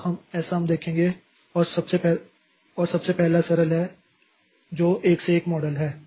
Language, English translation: Hindi, And the first one is the most simple one is the one to one model